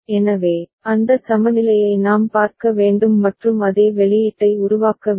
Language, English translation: Tamil, So, that equivalence we have to see and generate same output ok